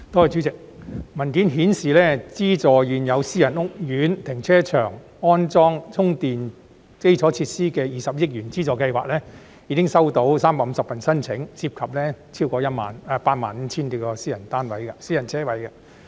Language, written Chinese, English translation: Cantonese, 主席，文件顯示資助現有私人屋苑停車場安裝充電基礎設施的20億元資助計劃，現時已經收到350份申請，涉及超過85000多個私人車位。, President according to the document 350 applications involving more than 85 000 - plus private car parking spaces have been received so far for the 2 billion subsidy scheme for installing charging facilities in car parks of private housing estates